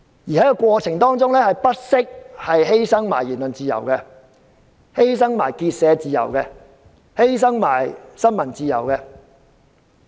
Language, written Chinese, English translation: Cantonese, 在這過程中，他們更不惜犧牲言論自由、結社自由和新聞自由。, In this process they even sacrificed freedom of speech of association and of the press